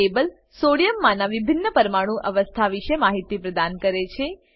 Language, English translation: Gujarati, This table gives information about * different Ionic states Sodium exists in